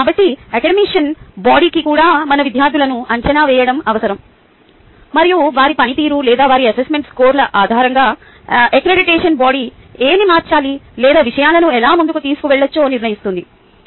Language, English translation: Telugu, assessment is very important, so accreditation body also requires us to assess our students and, based on their performance or their assessments scores, the accreditation body decides what needs to be changed or how things can be taken forward